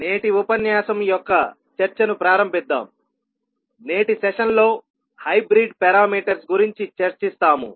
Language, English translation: Telugu, So, let us start the discussion of today’s lecture, we will discuss about the hybrid parameters in today's session